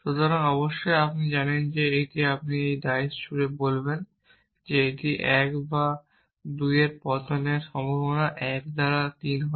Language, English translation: Bengali, So, off course you know that you know when you throughout diceyou say the chance of it falling 1 or 2 is 1 by 3 is simply says that